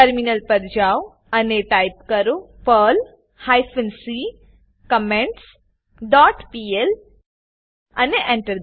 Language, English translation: Gujarati, Switch to the Terminal, and type perl hyphen c comments dot pl and press Enter